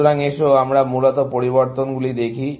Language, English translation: Bengali, So, let us look at the changes, essentially